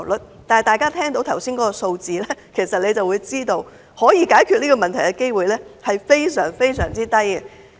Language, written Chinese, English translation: Cantonese, 然而，大家聽到剛才的數字，就會知道可以解決這個問題的機會非常低。, Yet at hearing the figures mentioned just now Members should know there is an extremely slim chance that the problem will be solved